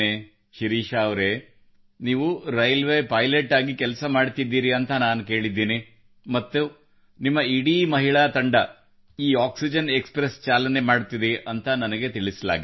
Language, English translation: Kannada, Shirisha ji, I have heard that you are working as a railway pilot and I was told that your entire team of women is running this oxygen express